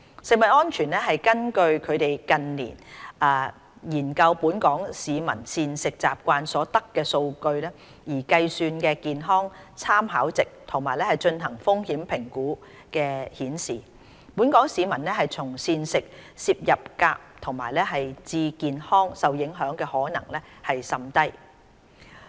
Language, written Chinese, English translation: Cantonese, 食安中心根據近年研究本港市民膳食習慣所得的數據而計算的健康參考值及進行的風險評估顯示，本港市民從膳食攝入鎘致健康受影響的可能甚低。, The health - based guidance value calculated on data gathered through CFS studies on the dietary habits of the local population in recent years and results of risk assessment studies so conducted indicate that it is most unlikely that the health of the local population will be affected by the intake of cadmium through diet